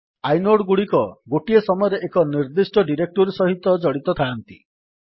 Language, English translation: Odia, Inodes are associated with precisely one directory at a time